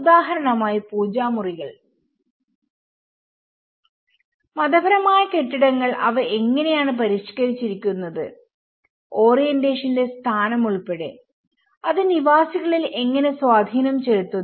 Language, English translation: Malayalam, You can see the example of the puja rooms, the religious buildings how they have modified those, including the location of the orientation and how it has an impact on the inhabitants